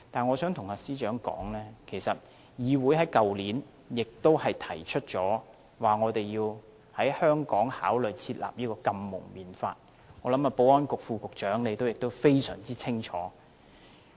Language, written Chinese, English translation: Cantonese, 我想告訴司長，其實議會在去年也提出要考慮在香港訂立禁蒙面法，我想保安局副局長對此也非常清楚。, I wish to tell the Secretary that the enactment of an anti - mask law was proposed in the Council last year . I believe the Under Secretary for Security is well - informed in this aspect